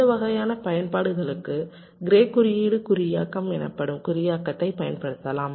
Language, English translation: Tamil, for these kind of applications we can use an encoding like something called gray code encoding